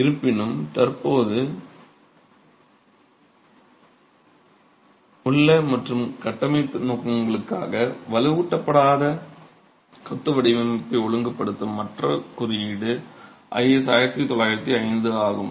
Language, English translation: Tamil, However, the other code that has been in existence and regulates the design of unreinforced masonry for structural purposes is 1905